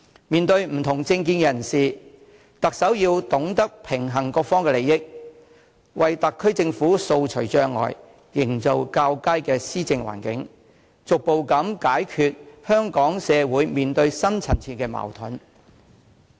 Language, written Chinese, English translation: Cantonese, 面對不同政見人士，特首要懂得平衡各方利益，為特區政府掃除障礙、營造較佳的施政環境，逐步解決香港社會面對的深層次矛盾。, In regard to people holding dissenting political opinions the Chief Executive must know how to balance the interests of all sides so as to clear the way for the SAR Government create a better environment for governance and resolve the deep - rooted conflicts in our society step by step